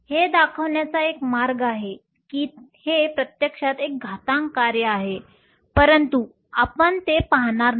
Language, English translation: Marathi, There is a way of showing that it is actually an exponential function but, we wonÕt go into it